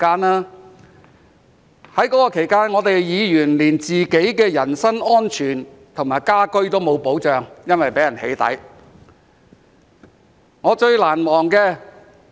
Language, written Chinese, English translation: Cantonese, 在那段期間，議員連自己的人身安全和家居也沒有保障，因為會被人"起底"。, During that period even the personal safety and residence of a Member were not safeguarded because he could be the target of doxxing